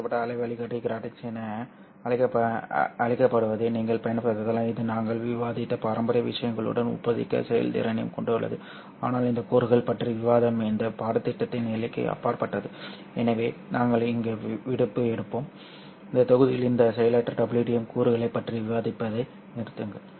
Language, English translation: Tamil, You can also use what is called as arrayed waveguide gratings this also have comparable performance with respect to the traditional things that we have discussed but discussion of these components is kind of beyond the scope of this course so we will take leave here we will stop discussing this passive wdm components in this module